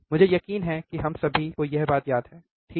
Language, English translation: Hindi, So, I am sure all of us remember this thing, right